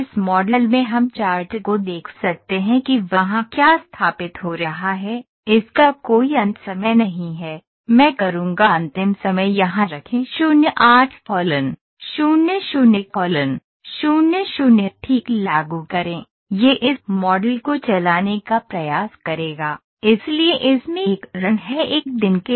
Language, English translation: Hindi, So, it has run for one day So, in this model we can see the chart what is setting there is no end time, I will put the end time here 0 8 0 0 0 0 apply ok, it will try to run this model, so it has a run for 1 day